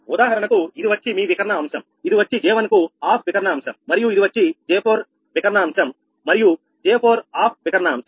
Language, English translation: Telugu, for example, this one, this is your diagonal elements, this is off diagonal element for j one and this is diagonal element for j four, off diagonal element for j four